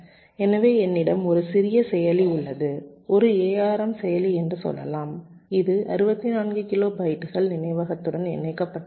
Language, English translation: Tamil, suppose i am designing an embedded system, so i have a small processor, lets say an arm processor, which is interfaced with sixty four kilo bytes of memory